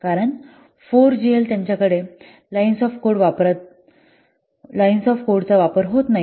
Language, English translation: Marathi, Some 4GL they do not have at all the use of this line shaft code